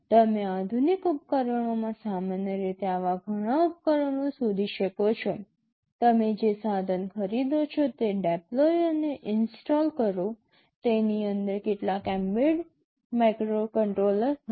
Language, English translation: Gujarati, You typically find many such devices in modern day households, whatever equipment you purchase you deploy and install, there will be some embedded microcontroller inside it